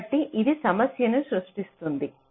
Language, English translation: Telugu, ok, so this creates a problem